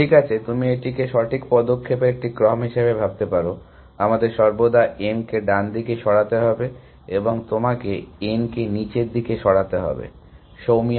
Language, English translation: Bengali, Well, you can think of this as a sequence of right moves, we have to always make m right moves and you have to put in n down moves, soumiya